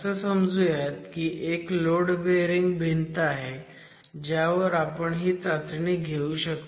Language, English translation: Marathi, Now let's imagine that there is a load bearing wall on which you are allowed to do this sort of a test